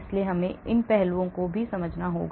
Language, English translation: Hindi, so we need to understand those aspects as well